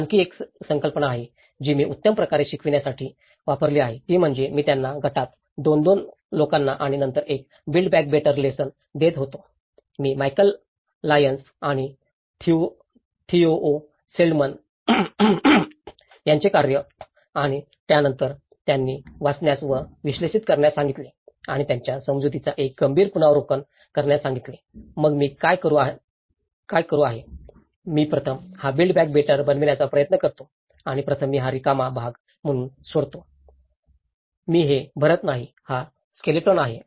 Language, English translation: Marathi, There is another concept, which I have used for teaching build back better is; I used to give them 2, 2 people in a group and then one chapter for the build back better, Michal Lyons and Theo Schildermanís work and then I asked them to read and analyse and make a critical review of their understanding, so then what I do is; I try to first this is a build back better and I leave this as an empty part first, I do not fill this so, this is the skeleton I give them